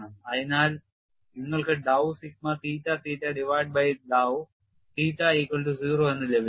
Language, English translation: Malayalam, So, you will have dow sigma theta theta divided by dow theta equal to 0